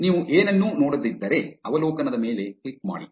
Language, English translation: Kannada, If you do not see anything, click on the overview